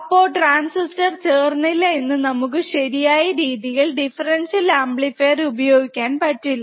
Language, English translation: Malayalam, So, if the transistors are not matching it does not match then we cannot bias the transistors or differential amplifier correctly